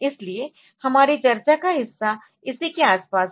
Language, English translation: Hindi, So, our part of discussion is around this